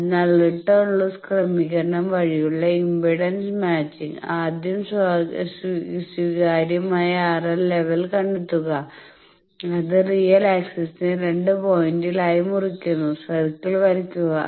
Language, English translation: Malayalam, So, this is called return loss limitation So, impedance matching by return loss adjustment, find acceptable R l level draw the circle it cuts real axis as 2 points